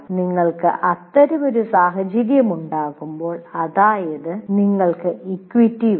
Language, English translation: Malayalam, But when you have such a situation, that is you want equity